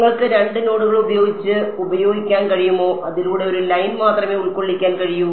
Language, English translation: Malayalam, Can you use with 2 nodes you can only fit a line through it